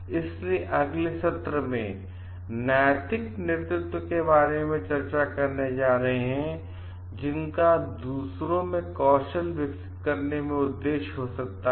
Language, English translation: Hindi, So, in the next session we are going to discuss about moral leadership, and which like may be aims at serving in developing skill sets of others